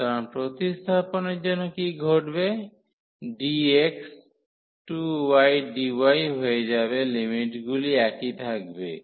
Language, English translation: Bengali, So, what will happen for the substitution the dx will become the 2y dy the limits will remain the same